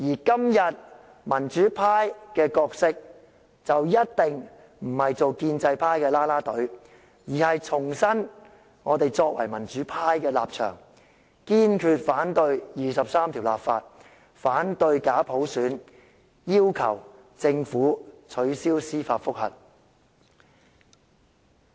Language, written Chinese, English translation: Cantonese, 今日民主派的角色一定不是做建制派的"啦啦隊"，而是要重申我們作為民主派的立場，堅決反對就第二十三條立法、反對假普選，以及要求政府撤銷司法覆核。, The role played by the pro - democracy camp today ought not to be the cheering team for the pro - establishment camp but a reiteration of our position as democrats resolute opposition to legislation for Article 23 and bogus universal suffrage as well as a demand for the Governments withdrawal of the judicial review